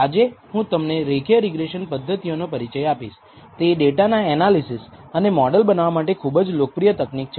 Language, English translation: Gujarati, Today we are going to introduce to you the method of linear regression, which is very popular technique for analyzing data and building models